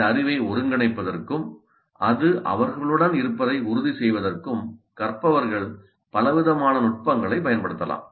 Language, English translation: Tamil, Learners can use a variety of techniques to integrate this knowledge and to ensure that it stays with them